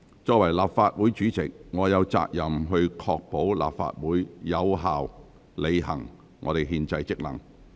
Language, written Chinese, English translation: Cantonese, 作為立法會主席，我有責任確保立法會能有效履行憲制職能。, As President of the Legislative Council I am responsible for ensuring that the Legislative Council is performing its constitutional functions